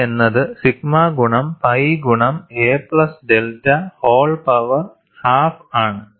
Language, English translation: Malayalam, K 1 is sigma into pi into a plus delta whole power half